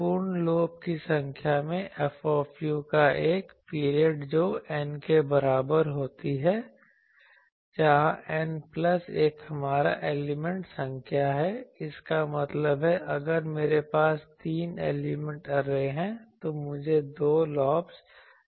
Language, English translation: Hindi, In number of full lobes in one period of F u one period of F u that equals N, where N plus 1 is our element number that means, if I have three element array, I should have two lobes